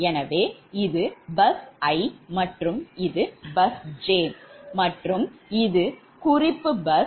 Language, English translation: Tamil, so this is your, this is your bus i and this is your bus j, right, and this is a